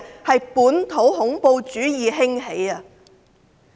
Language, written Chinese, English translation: Cantonese, 是本土恐怖主義興起。, It means the emergence of local terrorism